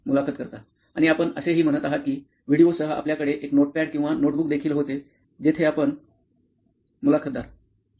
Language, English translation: Marathi, And you are also saying that along with the video you also had a notepad or notebook where you… Yeah